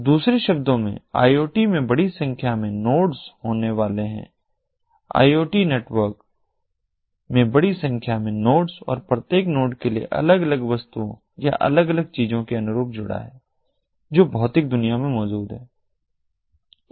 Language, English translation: Hindi, the iot internetwork is going to have large number of nodes, each node corresponding to the different distinct objects or different things that exist in the physical world